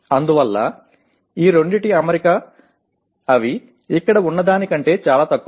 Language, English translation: Telugu, So that is why the alignment of these two is lot less than if they are here